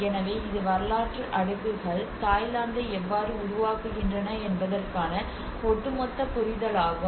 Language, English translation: Tamil, So this is how the overall understanding of how the historical layers have been framing Thailand